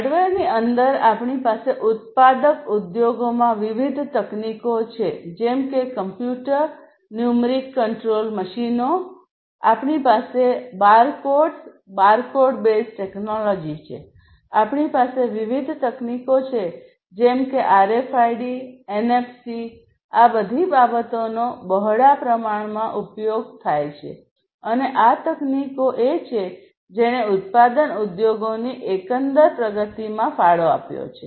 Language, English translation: Gujarati, Within hardware we have different technologies in the manufacturing industries such as the computer numeric control machines, we have the barcodes, barcode base technology barcode, we have different technologies such as RFID, NFC all of these are quite, you know, used quite widely and these are the technologies that have also contributed to the overall advancement of the manufacturing industries and like this actually there are many others also